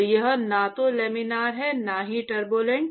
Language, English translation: Hindi, So, it is neither Laminar not Turbulent